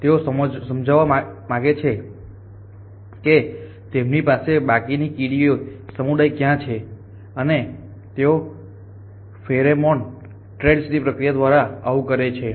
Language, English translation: Gujarati, They want to convey were they having being to the less of the ant community and they do this by a process of pheromone trails